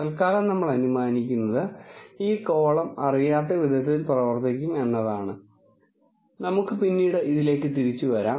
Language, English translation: Malayalam, For now, what we assume is will act such a way that we do not know this column and we will come back to this